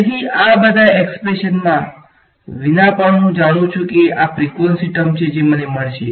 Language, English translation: Gujarati, So, even without doing all the opening up all these expressions I know that these are the frequency terms that I will get